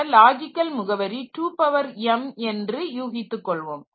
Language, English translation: Tamil, So, assume that the logical address space is 2 power m